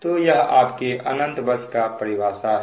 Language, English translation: Hindi, so this is your definition of infinite bus